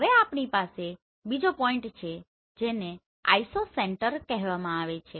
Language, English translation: Gujarati, Now we have another point which is called Isocenter